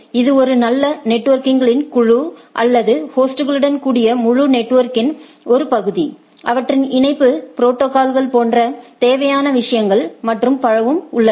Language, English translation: Tamil, So that means, it is a good group of network or a portion of the whole network along with hosts and the necessary things like their connectivity protocols and so on and so forth